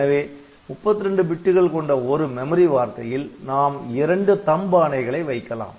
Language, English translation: Tamil, So, per memory word, so, you have got two such THUMB instructions